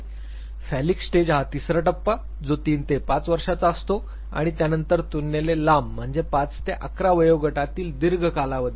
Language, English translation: Marathi, Phallic stage was is the third stage which is from 3 to 5 years, Then comes Longer stage relatively 5 to 11 years of age